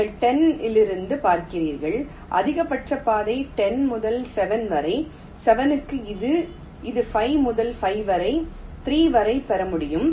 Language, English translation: Tamil, you see, from ten i can get a maximum path ten to seven, seven to this, this to five, five to three